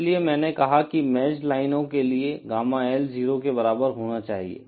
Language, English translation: Hindi, So, this is why I said that for matched lines, Gamma L should be equal to 0